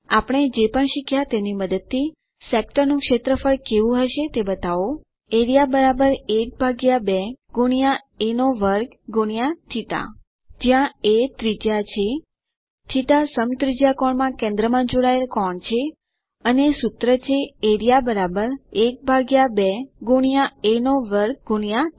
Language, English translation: Gujarati, Using what we have learned, show how the area of a sector will be Area = ½ a2 θ where a is the radius,θ is the angle subtended at the center in radian, and the formula is Area = ½ a2 θ